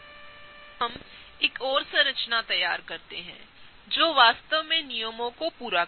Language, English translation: Hindi, So, let us now draw one more structure, which will really satisfy the rules